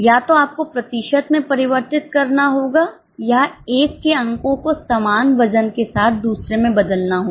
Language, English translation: Hindi, Either you have to convert it into percentage or convert one marks into another with equal weightage